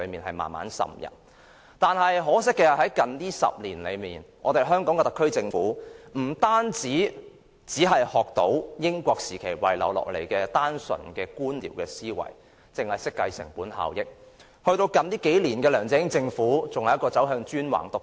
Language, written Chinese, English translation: Cantonese, 可惜，近10年來，特區政府只學到英治時期遺下的單純官僚思維，只懂得計算成本效益，到近數年的梁振英政府更走向專橫獨斷。, Unfortunately in the past 10 years the SAR Government has only learnt the bureaucratic ideology left behind by the British Hong Kong Government and only has eyes for cost - effectiveness . In recent years the LEUNG Chun - ying Government has even become despotic and dictatorial; what are the results?